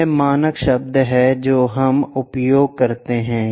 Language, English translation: Hindi, This is the standard words what we use